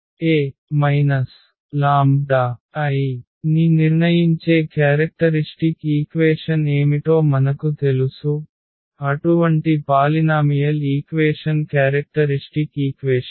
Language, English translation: Telugu, So, we know what is the characteristic equation that is the determinant of this A minus lambda I; meaning this such polynomial equation is the characteristic equation